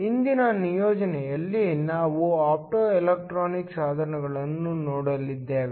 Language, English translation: Kannada, In today’s assignment, we are going to look at optoelectronic devices